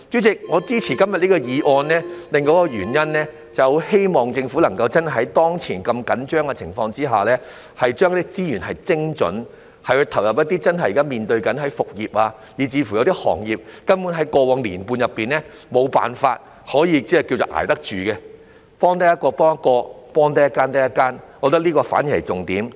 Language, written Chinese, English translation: Cantonese, 主席，我支持今天這項議案的另一原因，是希望政府真的在當前如此緊張的情況之下，把資源精準地投入一些現時面對復業，以及在過往1年半根本無法捱得住的行業，能幫助一個人就一個人，能幫助一間公司就一間公司，我覺得這才是是重點。, President another reason why I support todays motion is that I hope the Government under such serious circumstances now can truly allocate resources precisely to industries which are about to resume business and have not been able to survive the past one and a half years . I think it is the be - all and end - all that one person helped is one person saved and one company helped is one company saved